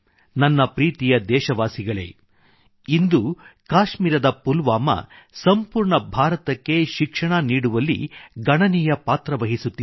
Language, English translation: Kannada, Today, Pulwama in Kashmir is playing an important role in educating the entire country